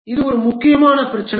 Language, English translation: Tamil, This is an important problem